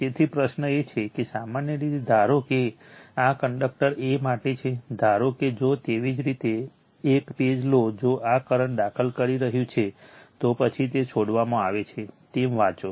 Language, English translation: Gujarati, So, question is that generally suppose this is for conductor a, suppose if you take a page if the current is entering into this, then read as it is in leaving